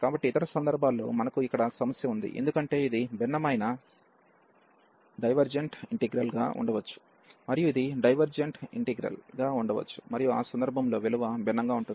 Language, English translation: Telugu, So, but in other cases we have the problem here, because this might be a divergent integral and this might be the divergent integral and in that case the value will differ